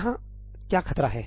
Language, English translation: Hindi, What is the danger here